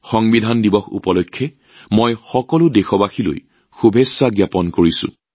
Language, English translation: Assamese, I extend my best wishes to all countrymen on the occasion of Constitution Day